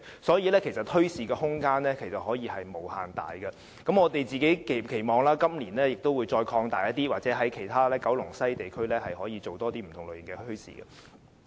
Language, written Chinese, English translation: Cantonese, 所以，墟市的空間其實是可以無限大的，我們亦期望今年的墟市會繼續擴大，或在九龍西其他地區舉辦更多不同類型的墟市。, There is actually a huge room for development of bazaars . We also hope that the bazaars to be held later this year will continue to expand in scale or more bazaars of a greater variety can be held in Kowloon West or other districts